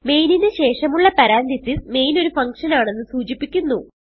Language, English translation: Malayalam, Parenthesis followed by main tells the user that main is a function